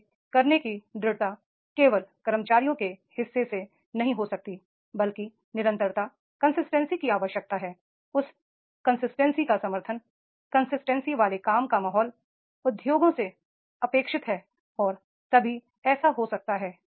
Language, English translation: Hindi, Consistency to perform it cannot be only only from the part of the employees, but the consistency is required, support of that consistency, work environment of that consistency is also required by the industries and now in that case only this can be happened